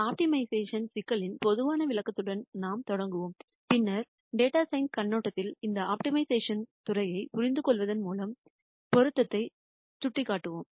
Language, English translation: Tamil, We will start with a general description of optimization problems and then we will point out the relevance of understanding this eld of optimization from a data science perspective